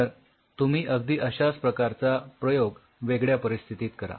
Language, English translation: Marathi, So, you do the same experiment with another situation